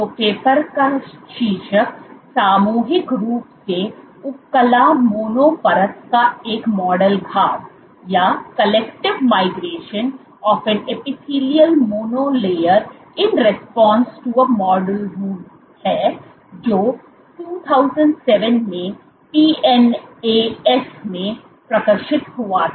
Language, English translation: Hindi, So, the title of the paper is collective migration of and epithelial mono layer in response to a model wound it was published in PNAS in 2007